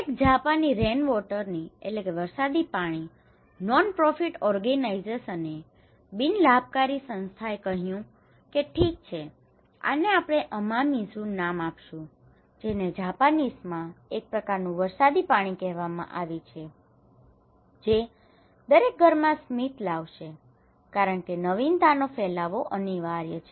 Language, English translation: Gujarati, There is a Japanese organization, non profit organization people for rainwater, they said okay, this is called Amamizu, in Japanese is called a kind of rainwater that will bring smile to every home therefore, diffusion of innovation is inevitable